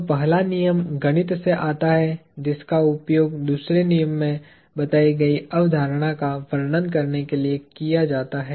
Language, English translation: Hindi, So, the first law follows from the mathematics that is used to describe the concept captured in the second law